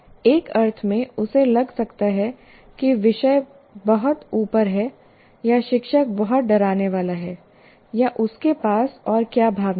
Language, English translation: Hindi, In the sense, he may feel that this subject is too far above, or the teacher is very intimidating or whatever feelings that he have